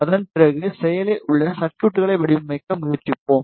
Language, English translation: Tamil, After that we will try to design active circuits